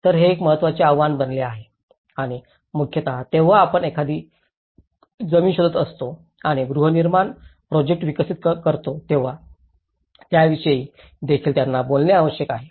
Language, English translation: Marathi, So this becomes one of the important challenge and mainly they also have to talk about when we are talking about finding a land and developing a housing project